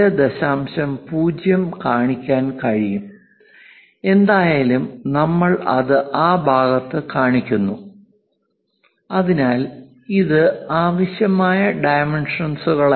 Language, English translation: Malayalam, 0, anyway we are showing it on that side so, this is not at all required dimension